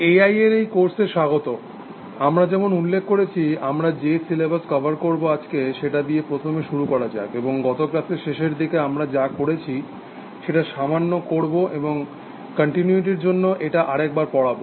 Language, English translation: Bengali, Welcome to this course on A I, as we mentioned let me first start, today with the syllabus that we are going to cover, and within the little bit of this in the last class, towards the end, and I am just repeating this for continuity